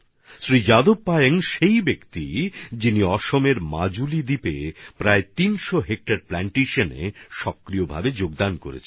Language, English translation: Bengali, Shri Jadav Payeng is the person who actively contributed in raising about 300 hectares of plantations in the Majuli Island in Assam